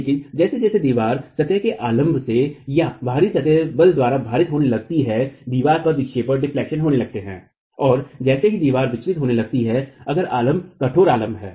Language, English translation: Hindi, But as the wall starts getting face loaded perpendicular to the plane or by the out of plane forces, deflections are going to occur in the wall and as the wall starts deflecting if the supports are rigid supports